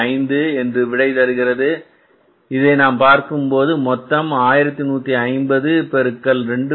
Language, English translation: Tamil, 50 so if you look at this this works out as how much 1150 into 2